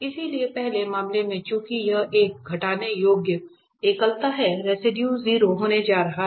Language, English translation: Hindi, So, in the first case since it is a removable singularity the residues is going to be 0